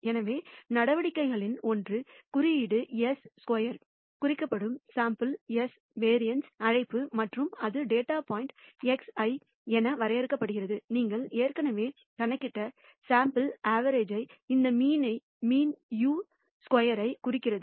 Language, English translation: Tamil, So, one of the measures is what to call the sample variance denoted by the symbol s squared and that is de ned as the data point x i minus the sample average that you have already computed